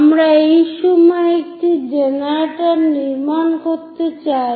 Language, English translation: Bengali, We would like to construct a generator at this point